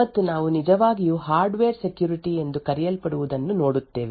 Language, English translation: Kannada, And we will actually look at something known as Hardware Security